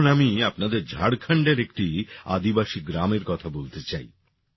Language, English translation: Bengali, I now want to tell you about a tribal village in Jharkhand